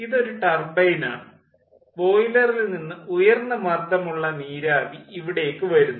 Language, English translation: Malayalam, extraction point means this is a turbine, high pressure steam is coming over here from boiler